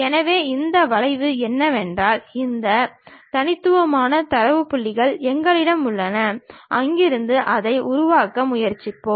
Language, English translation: Tamil, So, what is that curve does not exist what we have these discrete data points, from there we are trying to construct it